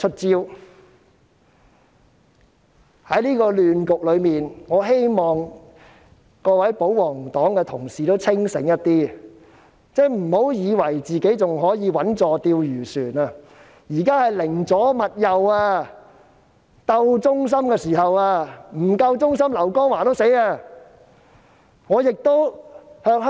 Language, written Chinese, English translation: Cantonese, 在這個亂局中，我希望各位保皇黨的同事清醒一點，不要以為自己還可以穩坐釣魚船，現在是寧左勿右、鬥忠心的時候，不夠忠心的話，連劉江華也遭殃。, In such a chaotic situation I hope Honourable colleagues of the pro - Government camp will not lose their head . Do not be mistaken that they can still ride safely in the fishing boat . Now is the time to go left rather than right and compete in loyalty